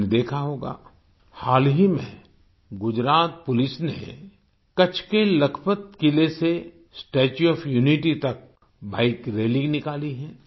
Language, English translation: Hindi, You must have noticed that recently Gujarat Police took out a Bike rally from the Lakhpat Fort in Kutch to the Statue of Unity